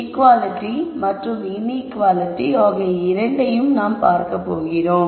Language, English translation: Tamil, So we going to look at both equality and inequality constraints